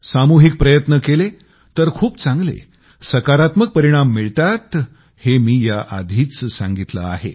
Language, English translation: Marathi, As I've said, a collective effort begets massive positive results